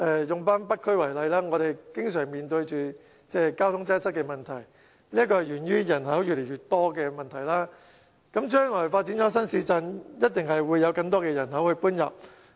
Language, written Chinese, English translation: Cantonese, 以北區為例，我們經常面對交通擠塞問題，這是源於人口越來越多，將來發展新市鎮一定有更多人口遷入。, The North District is an example . The frequent traffic congestion in the district is a result of a rising local population and the increasing trend will certainly continue upon the completion of new towns in the area